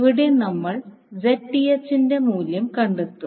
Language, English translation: Malayalam, So now you got the value of I